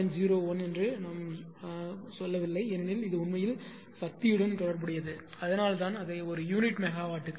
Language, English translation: Tamil, 01 per unit we are ah telling per unit megawatt because this is actually related to power; that is why making it 0